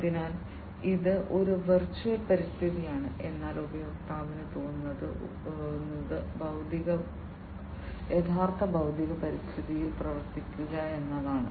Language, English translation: Malayalam, So, its a virtual environment that is immolated, but the user feels that, the user is acting in the actual physical environment